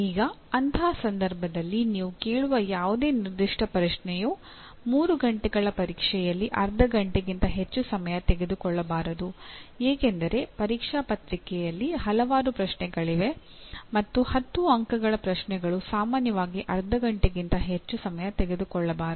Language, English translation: Kannada, Now in such a case, and any particular question that you ask cannot take in a 3 hour exam more than half an hour because an exam paper will have several questions and a 10 mark questions should take normally not more than half an hour